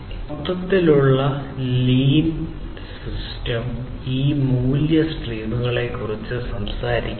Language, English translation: Malayalam, So, the overall lean system talks about this value, value streams